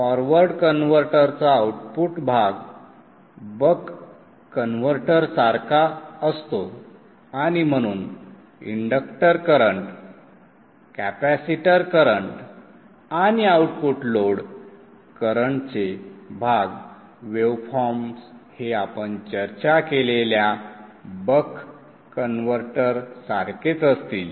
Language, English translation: Marathi, The output portion of the forward converter is like the buck converter and therefore the inductor current, the capacitor current and the output load current parts of the waveforms will be exactly same as that of the buck equivalent buck converter waveforms that we discussed